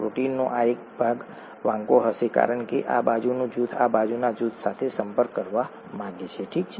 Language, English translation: Gujarati, The this, this part of the protein would be bent because this side group wants to interact with this side group, okay